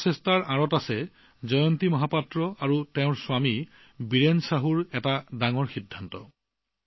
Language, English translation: Assamese, Behind this effort is a major decision of Jayanti Mahapatra ji and her husband Biren Sahu ji